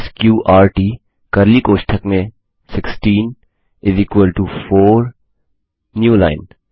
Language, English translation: Hindi, sqrt 16 within curly brackets equals 4 new line